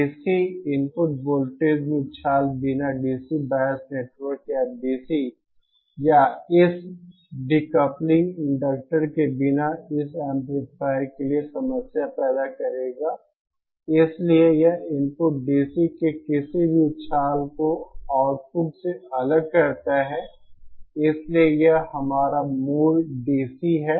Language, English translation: Hindi, Any surge in the DC input voltage without a DC bias network or without this decoupling inductor will create problems for this amplifier, so it also kind of isolates any surge in the input DC to the output so how do, so this is our basic DC, so ideally any DC biased circuit should be like this